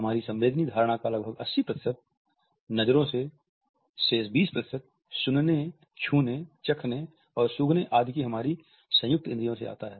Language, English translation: Hindi, Vision accounts for around 80 percent of our sensory perception, the remaining 20 percent comes from our combined census of hearing, touching, tasting and smelling etcetera